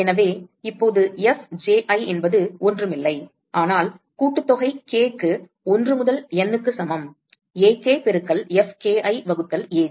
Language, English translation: Tamil, So, now, Fji is nothing, but sum k equal to 1 to N, Ak into Fki divided by Aj